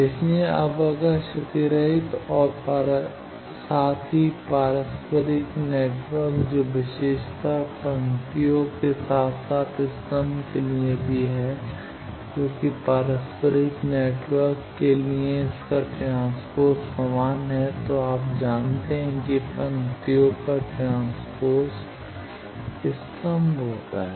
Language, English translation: Hindi, So, now, if lossless as well as reciprocal material network that case the property holds for rows as well as column because for reciprocal the network and its transpose is same you know columns after transposition becomes rows